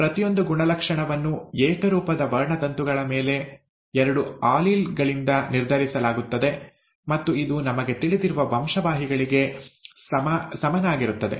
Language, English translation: Kannada, Each trait is , is determined by two alleles on homologous chromosomes, okay, and this is what is equivalent to the genes that we know of, right